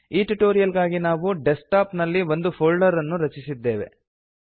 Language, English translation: Kannada, For the purposes of this tutorial: We have created a new folder on the Desktop